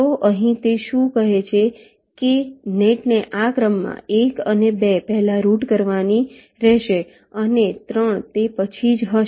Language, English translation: Gujarati, so here what he say is that the nets have to be routed in this order: one and two first, and three will be only after that